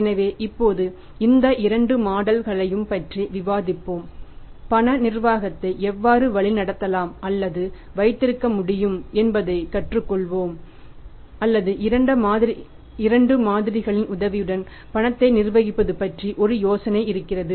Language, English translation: Tamil, So, now we will discuss these two models and we will learn how the cash management can be learned or can be had or we can have an idea about managing the cash with the help of the two models